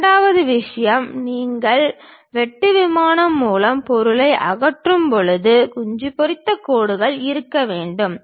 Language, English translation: Tamil, Second thing, when you remove the material through cut plane is supposed to have hatched lines